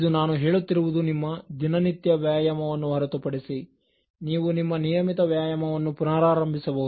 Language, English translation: Kannada, This I am saying apart from your regular exercise, you may resume your regular exercise